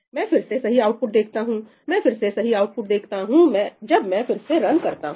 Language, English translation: Hindi, again I see the correct output, I again see the correct output when I run